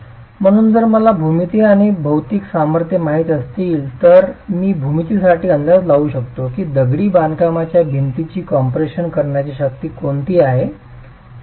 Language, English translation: Marathi, So if I were, if I know the geometry and the material strengths, can I for the geometry estimate what the strength in compression of the masonry wall is